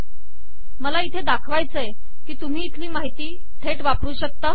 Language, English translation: Marathi, What I want to show here is that you can use the information from here directly